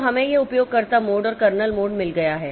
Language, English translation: Hindi, So, we have got this user mode and kernel mode